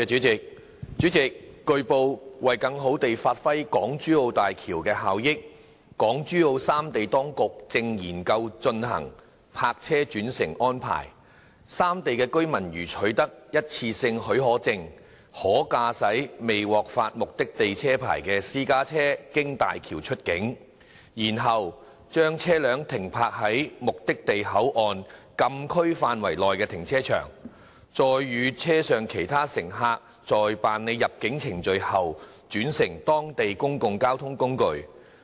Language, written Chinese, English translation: Cantonese, 主席，據報，為更好地發揮港珠澳大橋的效益，港珠澳三地當局正研究推行"泊車轉乘"安排：三地居民如取得一次性許可證，可駕駛未獲發目的地車牌的私家車經大橋出境，然後把車輛停泊在目的地口岸禁區範圍內的停車場，再與車上其他乘客在辦理入境程序後轉乘當地的公共交通工具。, President it has been reported that to better realize the benefits of the Hong Kong - Zhuhai - Macao Bridge HZMB the authorities of Hong Kong Zhuhai and Macao are studying the introduction of a park - and - ride arrangement . Residents of the three places may upon obtaining a one - off permit drive a private car not issued with a vehicle licence for use in the place of destination to cross the boundary via HZMB and park the car in a car park in the closed area of the boundary control point in the place of destination and then change to local public transport together with other passengers on board after going through immigration clearance